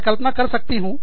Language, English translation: Hindi, I can imagine